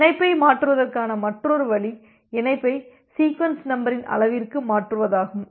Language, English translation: Tamil, Another way is to shift the connection another way is to shift the connection in the in the sequence number scale